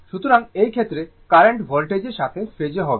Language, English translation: Bengali, So, in this case, current will be in phase with voltage